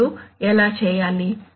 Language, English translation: Telugu, Now how to do that